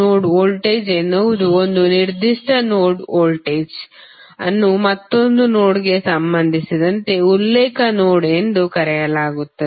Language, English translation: Kannada, Node voltage is the voltage of a particular node with respect to another node which is called as a reference node